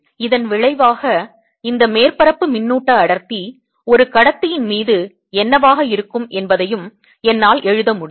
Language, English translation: Tamil, as a consequence, i can also write what this surface charge density will be on a conductor